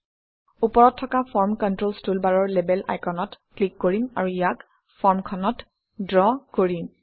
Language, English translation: Assamese, We will click on the Label icon in the Form Controls toolbar at the top, and draw it on the form